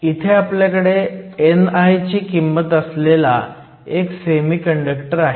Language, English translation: Marathi, So, we have a semiconductor with the value of n i